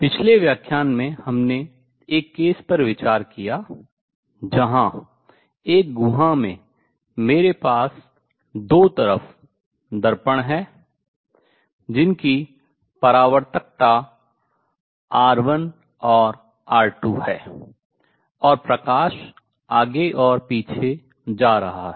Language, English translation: Hindi, The previous lecture we considered case where I have a cavity with mirrors on two sides with reflectivity R 1 and R 2 and light going back and forth